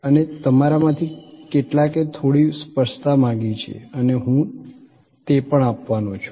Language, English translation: Gujarati, And some of you have asked for some clarification and I am going to provide that as well